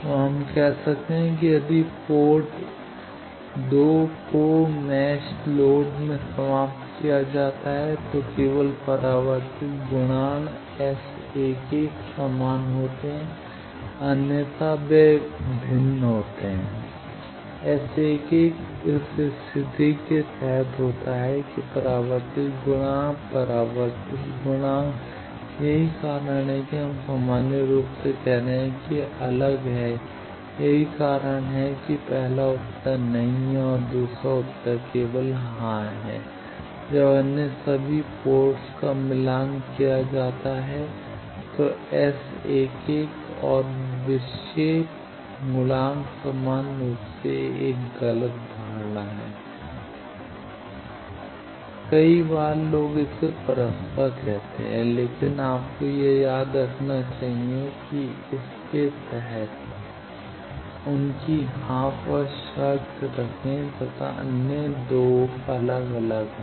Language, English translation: Hindi, So, we can say that if port 2 is terminated in match load then only reflection coefficient then S 11 are same, otherwise they are different S 11 is under this condition deflection coefficient, deflection coefficient that is why we are saying that in general they are different that is why the first answer is no and second answer is yes only when all other ports are matched then S 11 and deflection coefficients same generally is a misconception many times people interchangeably say these, but you should remember that under only these condition their yes otherwise they are 2 different entities